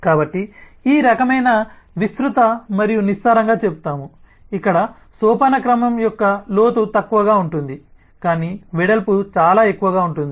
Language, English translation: Telugu, so these kind of, we will say, wide and shallow, that is where the depth of the hierarchy is less, but the breadth is very high